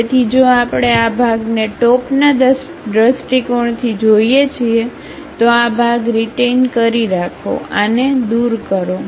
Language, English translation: Gujarati, So, if we are looking from top view retain this part, retain this part, remove this